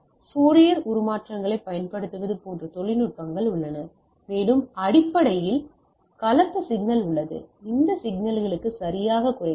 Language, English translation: Tamil, So, there are a techniques like using Fourier transforms like that and we can basically composite signal is there, we can deduce it to this signal right ok